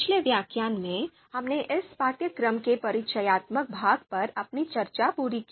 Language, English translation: Hindi, So in previous lecture, we completed our discussion on the introductory part of this course